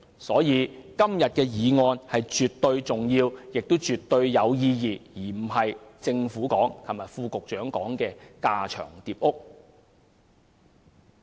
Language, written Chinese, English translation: Cantonese, 所以，今天的議案絕對重要和有意義，而非副局長昨天所說的架床疊屋。, Therefore todays motion is absolutely important and meaningful and is not redundant as suggested by the Under Secretary yesterday